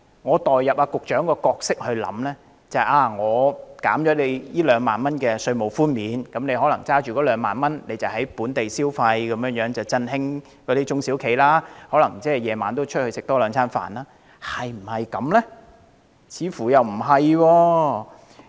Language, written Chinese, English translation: Cantonese, 我代入局長的角色思考，假定在提供2萬元稅務寬免後，人們便有2萬元可用於本地消費，振興中小企，晚上也能較多外出用膳，但事實是否如此？, I put myself in the shoes of the Secretary and assume that with the provision of a tax concession of 20,000 an amount of 20,000 will be available for spending in the territory to revitalize SMEs with people dining out in the evening more frequently but is this really the case?